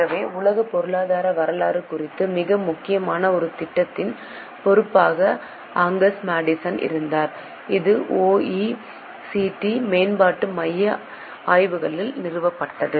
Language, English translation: Tamil, So, Angus Medicine was in charge of one very important project about world economic history which was instituted by OECD Development Centre Studies